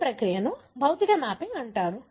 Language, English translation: Telugu, This process is called as physical mapping